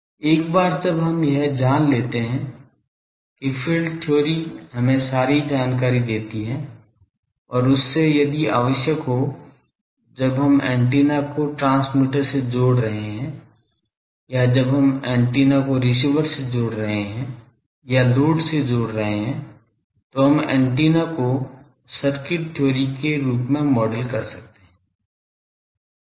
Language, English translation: Hindi, Once we have known that field theory gives us all the information’s and from that, if required when we are connecting the antenna with a transmitter, or when we are connecting the antenna with a receiver, or load we can model the antenna as an circuit theory object